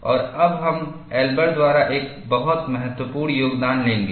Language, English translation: Hindi, And now, we will take up a very important contribution by Elber